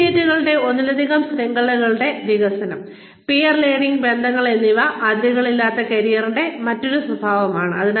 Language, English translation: Malayalam, Development of multiple networks of associates, and peer learning relationships, is another characteristic of boundaryless careers